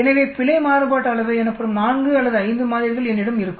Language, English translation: Tamil, So I will have 4 or 5 samples that is called the Error variance